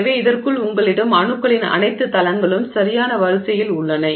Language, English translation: Tamil, So, within this you have all the planes of atoms in perfect order